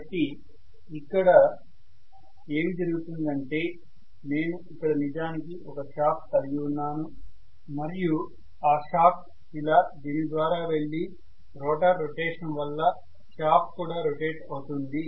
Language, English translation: Telugu, So what is going to happen is I will have actually a shaft here, the shaft will go through this right, through the rotor rotation the shaft will also rotate because of which I will have an external mechanism rotating